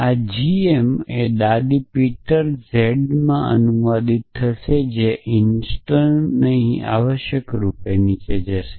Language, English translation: Gujarati, This will get translated to g m grandmother Peter z which intern will so essentially here going down